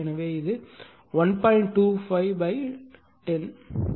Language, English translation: Tamil, So, it is 1